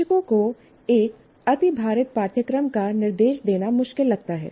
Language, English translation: Hindi, And they find it difficult to instruct an overloaded curriculum